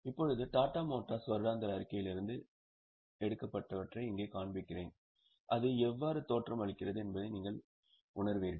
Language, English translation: Tamil, Now, here I am showing you extracts from Tata Motors annual report so that you will actually have a feel of how it looks like